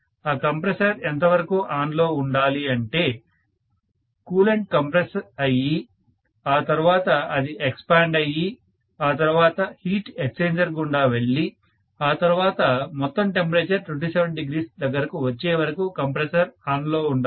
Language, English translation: Telugu, So that compressor is going to be ON for maybe as long as it is the coolant is compressed and then it is expanded and then it goes through the heat exchanger and overall temperature comes down to 27°